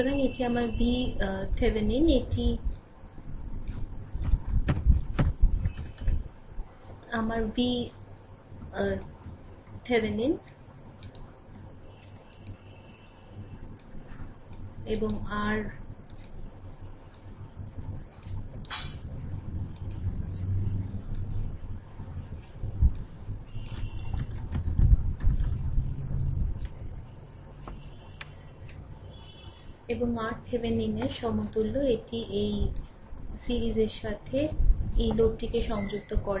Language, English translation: Bengali, So, this is my v Thevenin that equivalent one this is my v Thevenin and R Thevenin with that you connect this load in series with that